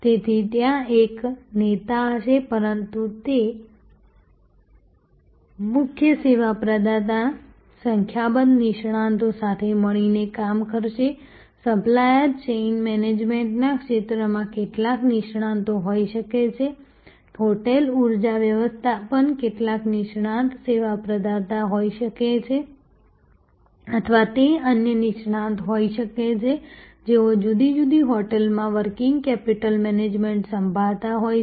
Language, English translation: Gujarati, So, there will be a leader, but that lead service provider will be working together with number of experts may be some experts in the area of supply chain management may be some expert service provider in the of hotel energy management or it could be another expert, who is looking at the working capital management at different hotels